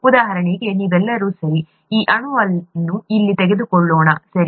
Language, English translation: Kannada, So for example, you all, okay let us take this molecule here, okay